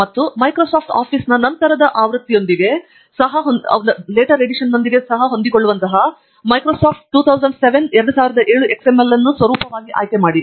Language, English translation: Kannada, And then choose Microsoft 2007 XML as a format which is compatible with the later versions of Microsoft Office also